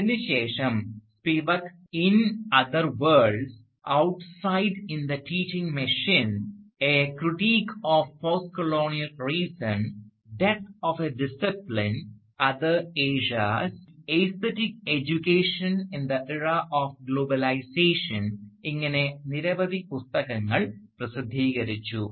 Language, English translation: Malayalam, Since then, Spivak has gone on to publish a number of books including In Other Worlds, Outside in the Teaching Machine, A Critique of Postcolonial Reason, Death of A Discipline, Other Asias, and more recently, Aesthetic Education in the Era of Globalization